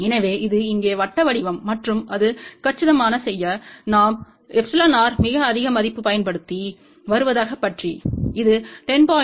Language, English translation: Tamil, So, this is here circular form and to make it compact, we had used a very high value of epsilon r which is about 10